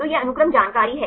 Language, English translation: Hindi, So, these are the sequence information